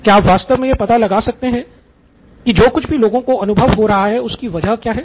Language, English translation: Hindi, Can you actually figure out what is underneath, whatever experiences they are going through